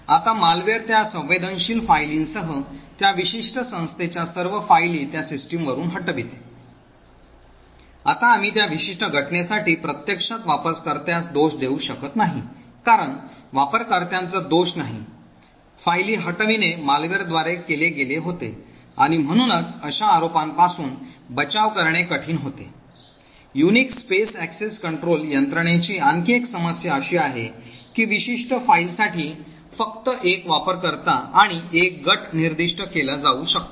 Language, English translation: Marathi, Now a malware deletes all the files of that particular organisation from that system, including all the sensitive files, now we cannot actually blame the user for that particular incident because it is not the users fault, the deletion of the files was done by the malware and therefore defending against such allegations becomes difficult, another problem with the Unix space access control mechanisms is that only one user and one group can be specified for a particular file, often we would require more flexibility where we want two users to own a particular file and this is not always possible with the Unix file systems